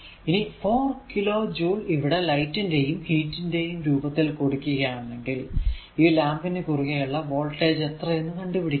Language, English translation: Malayalam, If 4 kilo joule is given off in the form of light and heat energy determine the voltage drop across the lamp